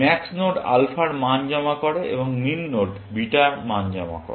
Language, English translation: Bengali, Max nodes store alpha values, and min nodes store beta values